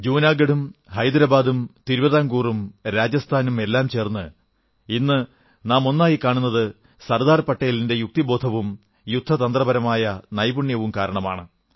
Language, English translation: Malayalam, Whether Junagadh, Hyderabad, Travancore, or for that matter the princely states of Rajasthan, if we are able to see a United India now, it was entirely on account of the sagacity & strategic wisdom of Sardar Patel